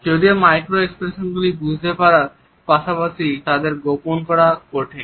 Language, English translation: Bengali, Even though it is difficult to understand micro expressions as well as to conceal them